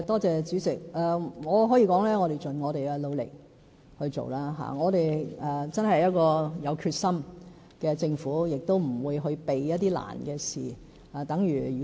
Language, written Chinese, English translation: Cantonese, 主席，我可以說我們會盡我們的努力來進行，我們真的是一個有決心的政府，也不會逃避困難的事情。, President I can say that we will do our utmost . We are a government with determination and we will not avoid thorny issues